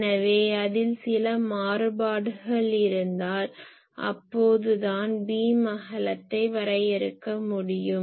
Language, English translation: Tamil, So, if you have some variation, then only you can define beam width